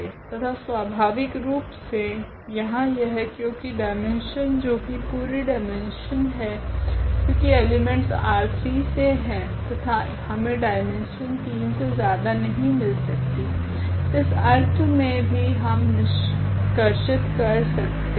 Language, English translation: Hindi, And naturally, that is the case here because the dimension that is the full dimension because the elements belongs to this R 3 and we cannot have the dimension more than 3 in that sense also we can conclude here